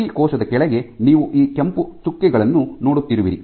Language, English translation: Kannada, So, underneath each cell you have these red dots